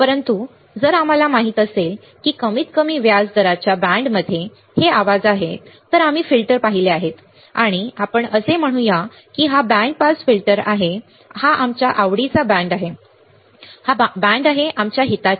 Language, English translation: Marathi, But if we know that these are the noises possibly present in the system at least in the band of interest rate right, we have seen filters and let us say this is the band pass filter this is a band of our interest correct, this is band of our interest